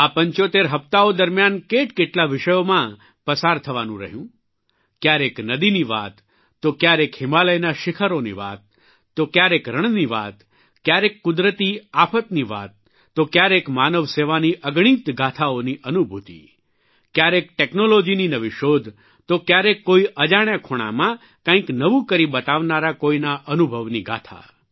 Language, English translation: Gujarati, At times, there was reference to rivers; at other times the peaks of the Himalayas were touched upon…sometimes matters pertaining to deserts; at other times taking up natural disasters…sometimes soaking in innumerable stories on service to humanity…in some, inventions in technology; in others, the story of an experience of doing something novel in an unknown corner